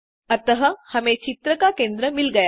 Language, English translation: Hindi, Hence, we get the centre of the image